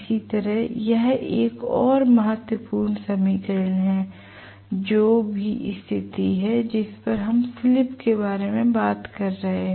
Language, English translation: Hindi, Similarly, this is another important equation whatever is the condition at which we are talking about the slip